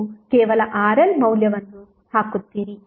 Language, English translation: Kannada, You will just put the value of RL